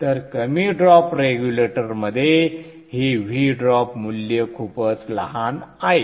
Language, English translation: Marathi, So in the low drop regulator this V drop value is very small